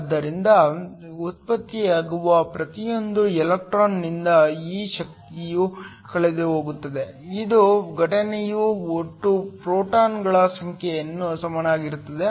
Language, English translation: Kannada, So, this energy is lost by every electron that is generated which is equal to the total number of photons that are incident